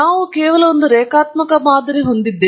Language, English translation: Kannada, We have just fit a linear model